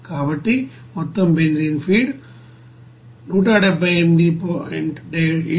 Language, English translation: Telugu, So total amount of benzene feed is 178